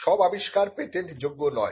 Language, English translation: Bengali, Not all inventions are patentable